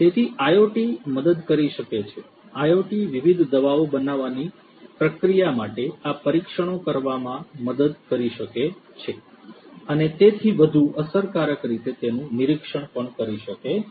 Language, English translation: Gujarati, So, IoT can help, IoT can help in doing these trials for the production process of the different you know drugs and so on monitoring those in a much more efficient manner